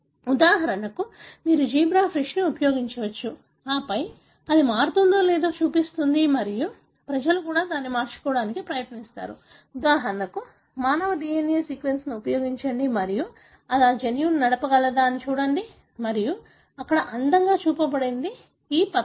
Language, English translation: Telugu, For example, you can use zebra fish and then show whether that changes and even people have tried to swap it, for example use the human DNA sequence over there and see whether it is able to drive that gene and this is what shown here beautifully in this paper